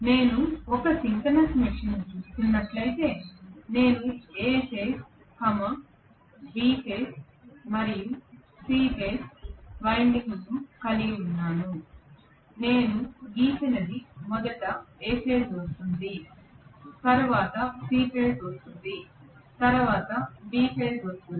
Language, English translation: Telugu, If I are looking at a synchronous machine, I have the A phase, B phase and the C phase windings what I had drawn is in such a way that first comes A phase, then comes C phase, then comes B phase that is the way I have drawn it